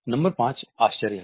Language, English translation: Hindi, Number 5 is surprise